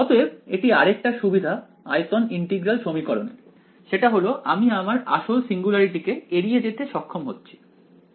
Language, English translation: Bengali, So, that is one more advantage of volume integral equations is that your avoiding that the real singularity is being avoided